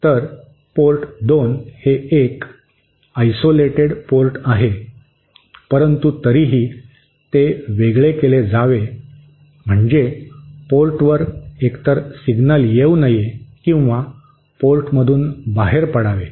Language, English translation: Marathi, So, port 2 is the isolated port, so anyway it should be isolated, that is no signal should either come in or come out from the spot